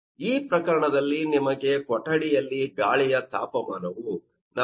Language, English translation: Kannada, In this case, you have given that the temperature of air in a room is 40